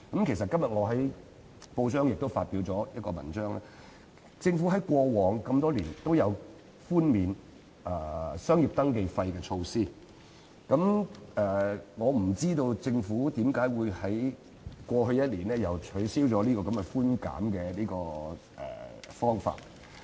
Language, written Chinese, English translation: Cantonese, 其實，我今天在報章上發表了一篇文章，指出政府在過往多年也推出寬免商業登記費的措施，我不知道政府為何會在過去一年卻取消了這項寬減措施。, As a matter of fact I queried in my press article today why the Government abolished last year the waiver of business registration fees a measure which had been implemented over the past several years